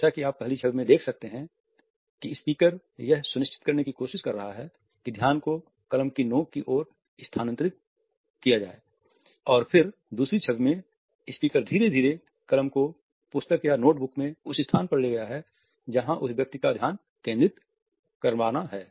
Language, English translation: Hindi, As you can see in the 1st image the speaker is trying to ensure that the gaze is shifted towards the tip of the pen and then in the 2nd image the person has gradually brought the pen to the point in the book or the notebook where the person has to concentrate